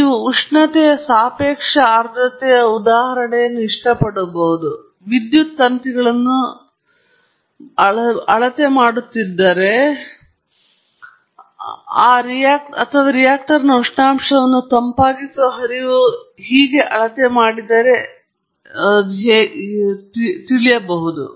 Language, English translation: Kannada, You may like the temperature relative humidity example or may be if I am measuring the power verses current in a wire or the temperature of a reactor verses a coolant flow and so on